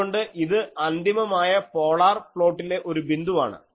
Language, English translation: Malayalam, So, this is a point on the final polar plot